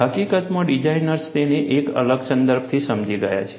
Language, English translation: Gujarati, In fact, designers have understood it from a different context